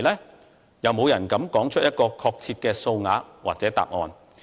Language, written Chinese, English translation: Cantonese, 沒有人敢說出一個確切的數額或答案。, No one dare to provide a specific amount or answer